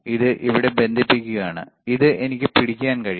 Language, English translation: Malayalam, Connect it to here, this one I can hold it